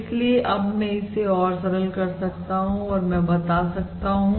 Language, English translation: Hindi, and therefore now I can simplify this further